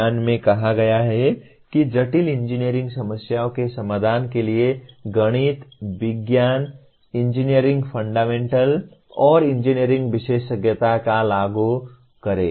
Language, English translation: Hindi, The statement says apply the knowledge of mathematics, science, engineering fundamentals and an engineering specialization to the solution of complex engineering problems